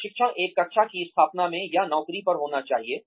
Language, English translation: Hindi, Should training take place, in a classroom setting, or on the job